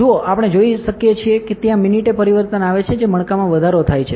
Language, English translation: Gujarati, See we can see that there are minute changes the bulging has increased